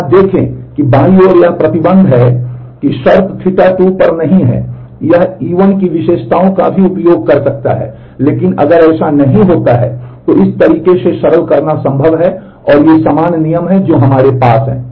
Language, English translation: Hindi, Look here that on the left hand side that restriction is not there on the condition theta 2 it could also use attributes of E1, but if it does not then it is possible to simplify it in this manner and these are the equivalent rules that we have